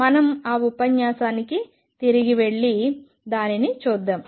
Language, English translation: Telugu, Let us go back to that to that lecture and see it